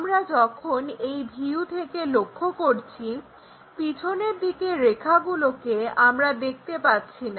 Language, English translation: Bengali, When we are looking from this view, the back side line we cannot really see